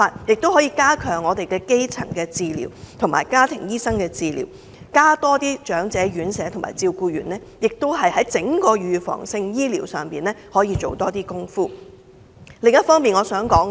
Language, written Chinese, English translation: Cantonese, 政府可以加強基層治療和家庭醫生治療，增加長者院舍和護理員，在整個預防治療上做更多工夫。, The Government can step up the overall preventive treatment by strengthening primary healthcare and the role of family doctors and increasing homes for the aged and caregivers